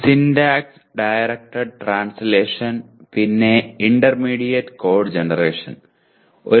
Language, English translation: Malayalam, Syntax directed translation and intermediate code generation